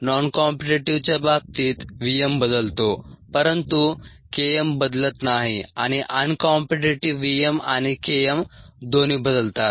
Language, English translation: Marathi, in the case of noncompetitive, v m changes but k m does not change, and in uncompetitive, both v m and k m change